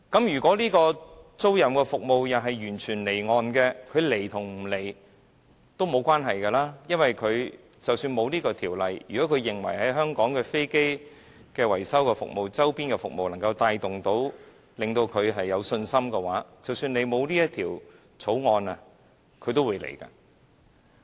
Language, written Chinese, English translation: Cantonese, 如果飛機租賃服務完全離岸進行，那麼這些公司是否來香港發展也不重要；因為如果它們認為香港的維修服務、周邊的服務能夠令它們有信心的話，即使政府沒有制定這項《條例草案》，那些公司也會來香港發展。, If aircraft leasing services are completely done offshore whether these companies will come to Hong Kong for development is not significant . Because if they have confidence in the maintenance services and other peripheral services in Hong Kong even if the Government does not formulate this Bill these companies will still come to Hong Kong for development